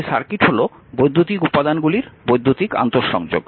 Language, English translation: Bengali, Therefore, an electric circuit is an interconnection of electrical elements